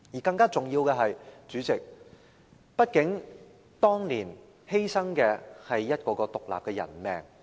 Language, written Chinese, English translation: Cantonese, 更重要的是，主席，畢竟當年犧牲的，是一條條獨立的人命。, More importantly President the lives of individual persons were actually sacrificed in that incident